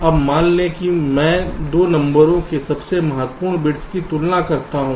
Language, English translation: Hindi, so what i am saying is that we compare the most significant bits